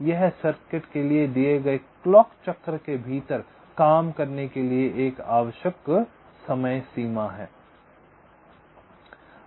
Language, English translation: Hindi, this is a required dead line, ok, in order for the circuit to operate within a given clock cycle